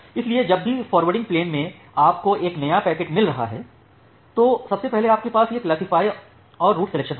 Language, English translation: Hindi, So, the forwarding plane whenever, you are getting a new packet then first you have this classifier and the route selection